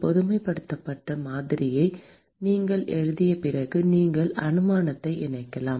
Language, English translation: Tamil, You could incorporate the assumption after you write the generalized model